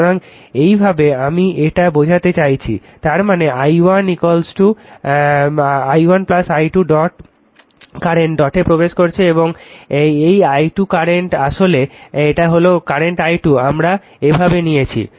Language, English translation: Bengali, So, this way I mean this; that means, i 1 plus i 2 current entering into the dot and this i 2 current actually it is your this is the current i 2 we have taken like this